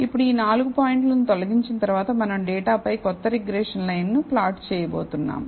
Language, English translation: Telugu, So, now, after removing all these four points, we are going to plot the new regression line over the data